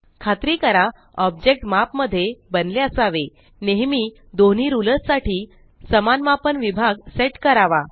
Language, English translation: Marathi, To make sure that the objects are drawn to scale, always set the same units of measurements for both rulers